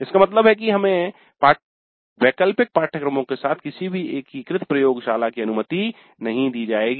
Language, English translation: Hindi, That means no integrated laboratories will be allowed with elective courses